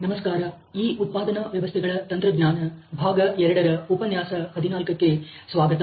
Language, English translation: Kannada, Hello and welcome to this manufacturing systems technology part 2 module 14